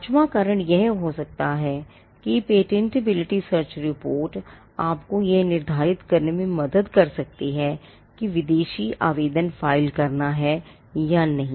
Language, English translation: Hindi, The fifth reason could be that the patentability search report can help you to be determine whether to file foreign applications